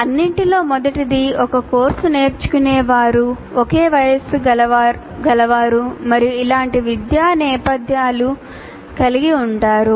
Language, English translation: Telugu, First of all, all learners of a course belong to the same age group and have similar academic background